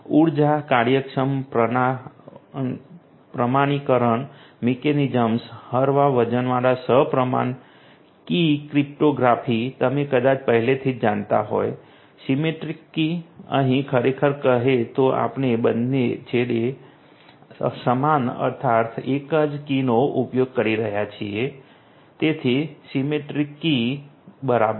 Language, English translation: Gujarati, Energy efficient authentication mechanisms, lightweight symmetric key cryptography symmetric key as you probably already know, here actually we are talking about you know the same key being used at both the ends right, so the symmetric key